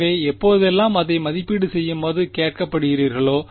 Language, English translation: Tamil, So, whenever you are asked to evaluate this